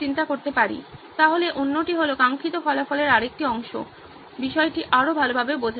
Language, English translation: Bengali, So another one, another part of the desired result is better understanding of the topic